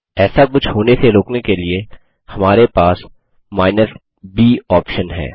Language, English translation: Hindi, To prevent anything like this to occur, we have the b option